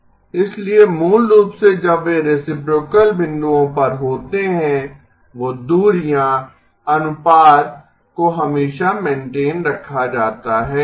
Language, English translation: Hindi, So basically when they are at reciprocal points, those distances the ratio is always maintained